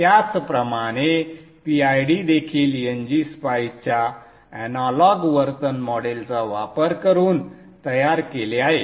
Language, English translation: Marathi, Likewise PID is also built using the analog behavioral model of NG Spice